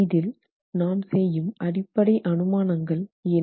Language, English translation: Tamil, What are the basic assumptions that we are making here